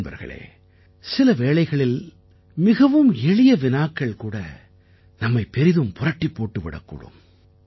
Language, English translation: Tamil, Friends, sometimes even a very small and simple question rankles the mind